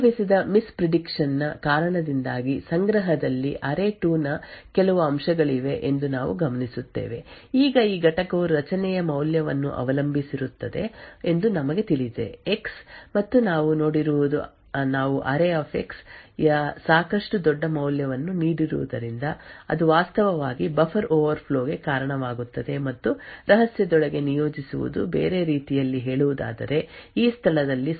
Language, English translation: Kannada, Due to the miss prediction that had occurred however what we observe is that there is some component of array2 that is present in the cache now we know note that this component depends on the value of array[x]and what we have seen is that we have given a sufficiently large value of array[x] so that it was actually causing a buffer overflow and appointing inside the secret in other words what has been loaded into the cache at this location is essentially a function off the secret location